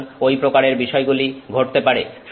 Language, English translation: Bengali, So, those kinds of things can happen